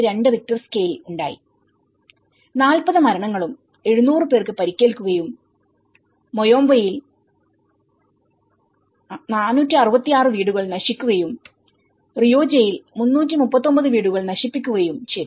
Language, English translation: Malayalam, 2 Richter scale have occurred and this is when 40 deaths and 700 injuries and the destruction of 466 homes in Moyobamba and 339 in Rioja affecting so this is all, the Moyobamba and Rioja and Soritor